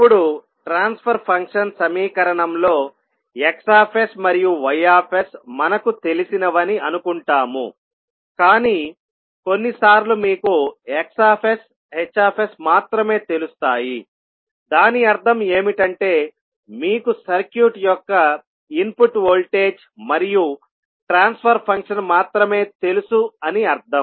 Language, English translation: Telugu, Now, in the transfer function equation we assume that X s and Y s are known to us, but sometimes it can happen that you know only X s, H s at just that means you know only the input voltage and the transfer function of the circuit